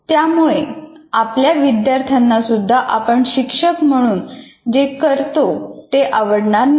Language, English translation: Marathi, Our own students are not likely to appreciate what we do now as teachers